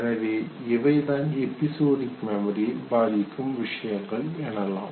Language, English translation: Tamil, So these are the prominent factors that affect episodic memory